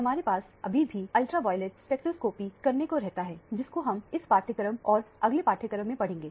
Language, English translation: Hindi, We still have the ultraviolet spectroscopy to cover, which we will deal with in this module and the next module